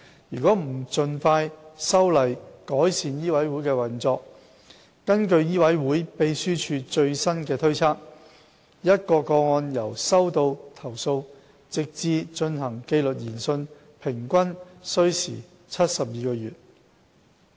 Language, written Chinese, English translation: Cantonese, 如不盡快修例改善醫委會運作，根據醫委會秘書處最新推測，一宗個案由收到投訴直至進行紀律研訊平均需時72個月。, According to the latest estimate by the MCHK Secretariat it will take an average of 72 months to handle a case starting from receipt of a complaint to the conduct of disciplinary inquiry unless legislative amendment to improve the operation of MCHK is introduced as soon as possible